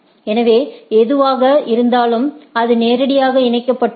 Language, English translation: Tamil, So, whatever the it is directly connected